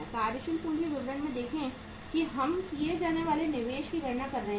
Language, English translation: Hindi, See in the working capital statement we are calculating the investment to be made